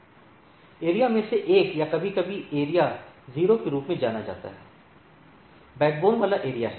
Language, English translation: Hindi, One of the area or sometimes referred to as area 0 is the backbone area